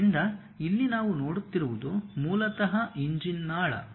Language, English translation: Kannada, So, here what we are seeing is, basically the engine duct